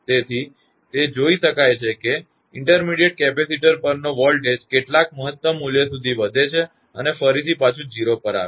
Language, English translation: Gujarati, Therefore, it can be seen that the voltages on the intermediate capacitor rise to some maximum value and again return to 0